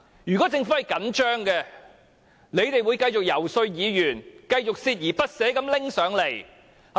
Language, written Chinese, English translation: Cantonese, 如果政府真的着緊，便會繼續遊說議員，繼續鍥而不捨地提交建議。, Had the Government been really serious about this project it would have made continuous efforts to lobby support from Members and table the proposal persistently